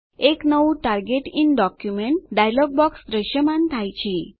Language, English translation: Gujarati, A new Target in document dialog box appears